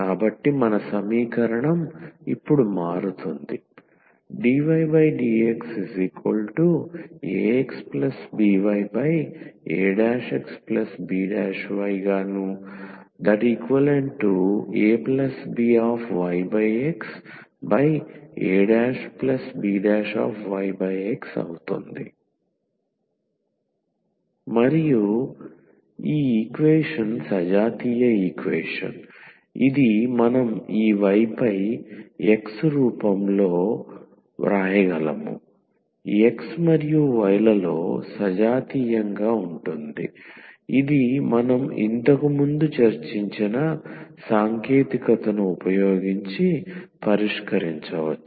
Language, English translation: Telugu, So, our equation will convert now dY over dX in to aX plus bY, a prime X plus by b prime Y and this equation is homogeneous equation which we can write in this Y over X form, homogeneous in X and Y which we can solve using the technique which we have discussed earlier